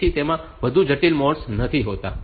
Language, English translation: Gujarati, So, it does not have more complex modes